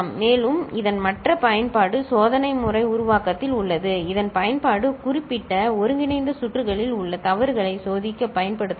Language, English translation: Tamil, And the other use of it is in test pattern generation of which can be used for testing the faults in application specific integrated circuits